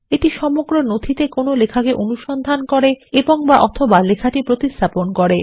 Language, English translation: Bengali, It searches for text and/or replaces text in the entire document